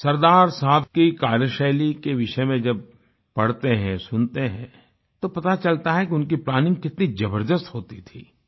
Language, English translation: Hindi, When we read and hear about Sardar Saheb's style of working, we come to know of the sheer magnitude of the meticulousness in his planning